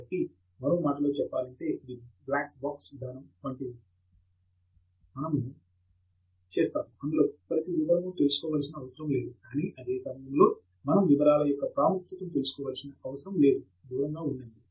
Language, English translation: Telugu, So in other words, there is something like a black box approach, we do not need to know every single detail, but at the same time we do not need to also brush away the importance of details